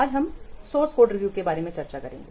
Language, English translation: Hindi, Today we will discuss about source code review